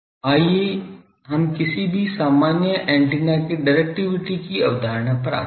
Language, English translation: Hindi, Then let us come to the concept of directivity of any general antenna